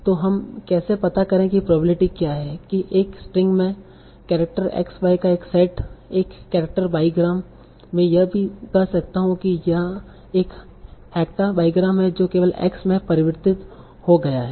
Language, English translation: Hindi, So how do I find the probability that in a string a set of characters x y, a character by gram, I can also say it as a character by gram, got converted to only x